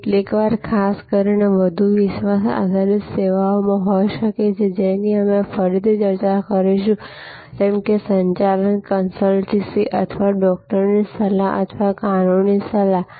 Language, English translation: Gujarati, Sometimes people may particularly in more credence based services, which we will discuss again like a management consultancy or doctors advice or legal advice